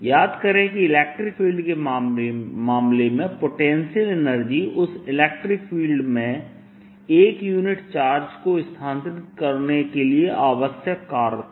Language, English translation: Hindi, recall that the potential energy in the case of electric field was the work required to more a unit charge in that electric field